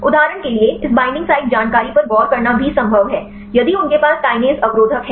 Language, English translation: Hindi, It is also possible to look into this binding site information for example, if they have the Kinase inhibitors